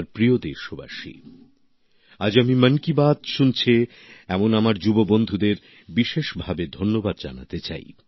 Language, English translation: Bengali, My dear countrymen, today I wish to express my special thanks to my young friends tuned in to Mann ki Baat